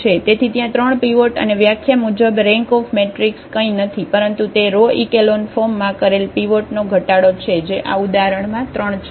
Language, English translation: Gujarati, So, there are 3 pivots and the rank as per the definition that rank of the matrix is nothing but it is a number of pivots in reduced row echelon form which is 3 in this example